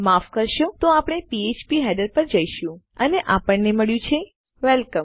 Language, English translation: Gujarati, Sorry, so we will go to php header and we have got Welcome